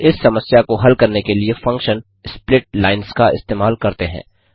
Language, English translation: Hindi, We use the function split lines to solve this problem